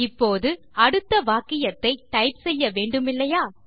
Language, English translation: Tamil, Now, we need to type the next sentence, should we not